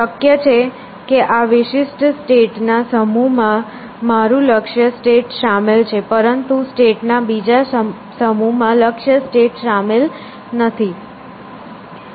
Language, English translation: Gujarati, So, it is possible that, this particular set of states contains my goal state, but another set of state does not contain goal state